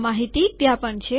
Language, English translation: Gujarati, This information is also there